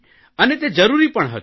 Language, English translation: Gujarati, This was necessary